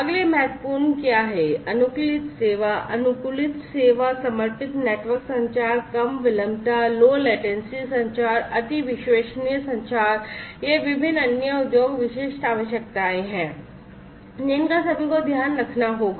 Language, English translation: Hindi, What is next important is the optimized service, optimized service, dedicated network communication, low latency communication, ultra reliable communication, these are the different other industry specific requirements that will all have to be, you know, care to